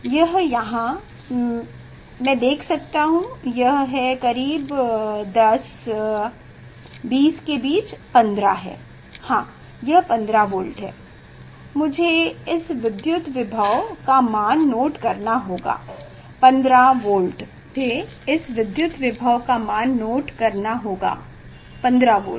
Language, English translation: Hindi, It is here I can see this is 10, 20 in between the 15; it is the 15 volt yes, it is the 15 volt